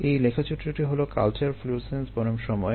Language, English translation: Bengali, this is culture florescence versus time